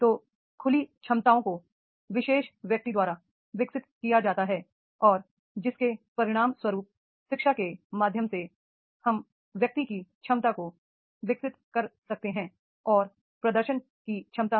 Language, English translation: Hindi, So open capacities are developed by the particular individual and as a result of which through the education we can develop the capacities of the individual to perform, ability to perform